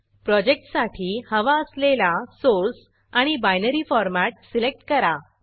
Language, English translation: Marathi, Select the desired Source and Binary Format for the project